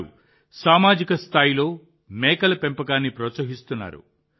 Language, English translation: Telugu, They are promoting goat rearing at the community level